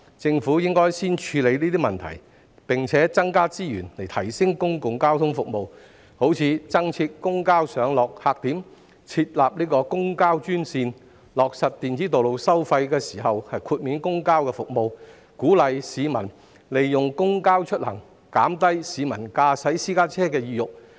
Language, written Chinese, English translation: Cantonese, 政府應先處理這些問題，並增加資源以提升公共交通服務，例如增設公交上落客點、設立公交專線、在落實電子道路收費時豁免向公交服務收費等，藉此鼓勵市民利用公交出行，減低市民駕駛私家車的意欲。, The Government should first address these issues and provide additional resources to enhance public transport services such as by providing more pick - updrop - off points for public transport designating public transport - only lanes providing toll exemption for public transport services upon the implementation of an electronic road pricing scheme thus encouraging people to use public transport and discouraging them from driving private cars